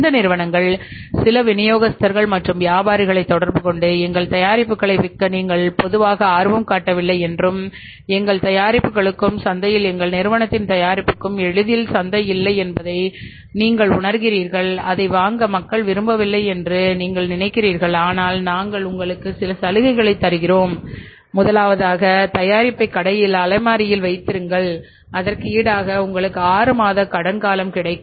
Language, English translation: Tamil, When these companies interact with some of the distributors and dealers they say that okay you are normally not interested to sell our product and you also feel that there is no easily available to market for our products and is our company's product in the market people are not intending to buy it but we will give you some incentives number one you can keep the product in the store provide us the self space and in return to that we will give you a credit period of six months you keep the product on the self try to sell it if Samsung is giving you 10% profit I will give you a credit period of 6 months